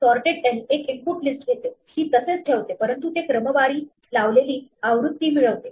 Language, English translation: Marathi, So, sorted l takes an input list, leaves it unchanged, but it returns a sorted version